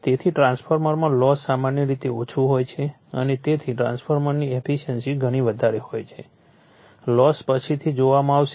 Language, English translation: Gujarati, So, losses in transformers are your generally low and therefore, efficiency of the transformer is very high, losses we will see later